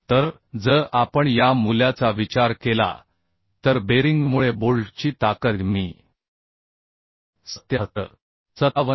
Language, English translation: Marathi, 25 So if we consider this value then the strength of bolt due to bearing I could find out 77